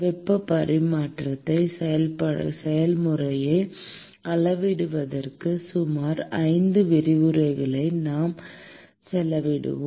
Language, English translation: Tamil, We will spend about 5 lectures in looking at quantifying heat exchanging process